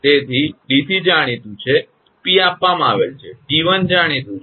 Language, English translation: Gujarati, So, dc is known, p is given, t 1 is known